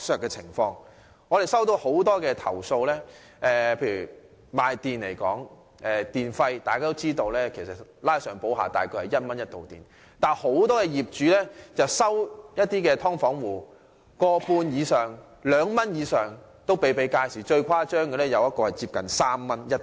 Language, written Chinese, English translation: Cantonese, 我接獲不少投訴，就以電而言，大家也知道，每度電約為1元，但很多業主卻收取"劏房"戶每度電 1.5 或2元以上，最誇張的個案是每度電的收費接近3元。, This is indeed double exploitation . I have received a lot of complaints and as far as electricity is concerned we all know that the tariff per unit is around 1 but many owners of subdivided units charge their tenants 1.5 or even more than 2 for each unit consumed . In the most outrageous case nearly 3 is charged for each unit consumed